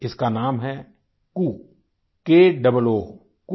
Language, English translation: Hindi, Its name is ku KOO